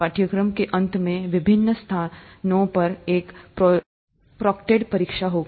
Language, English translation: Hindi, At the end of the course, there will be a proctored exam in different locations